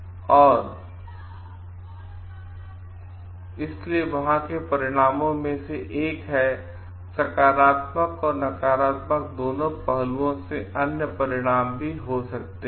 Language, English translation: Hindi, And so, this is one of the consequences there could be other consequences both from positive and negative aspect